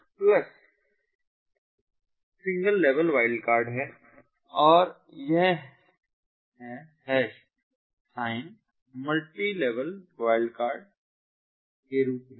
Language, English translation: Hindi, the plus one is a single level wildcard and this hash sign is as multilevel wide wildcard